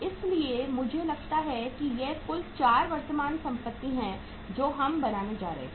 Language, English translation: Hindi, So I think these are the total 4 current assets we are going to build